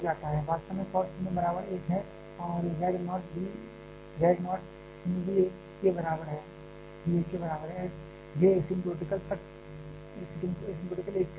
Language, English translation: Hindi, Actually cos 0 is equal to 1 and z naught 0 is also is equal to 1, it asymptotical approaches to 1